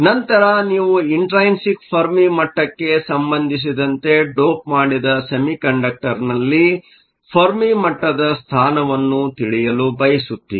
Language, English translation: Kannada, Then you want to know the position of the fermi level in the doped semiconductor with respect to the intrinsic firmer fermi level